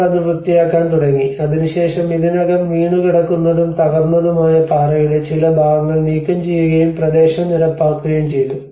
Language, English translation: Malayalam, They have started clearing it, and then there are already some fallen and collapsed parts of rock lying in front were removed and the area has been leveled up